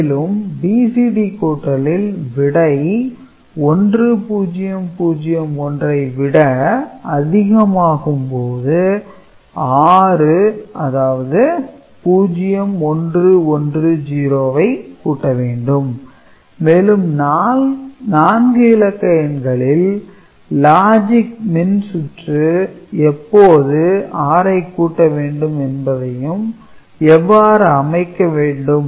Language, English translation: Tamil, And, in BCD addition if the result is more than 1 0 0 1, then further addition of 6 that is 0 1 1 0 is required and BCD adder will require to 4 bit binary adder and logic circuit to decide when this 6 is getting added